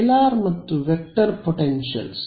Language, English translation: Kannada, So, scalar and vector potentials